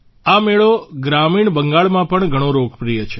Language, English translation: Gujarati, This fair is very popular in rural Bengal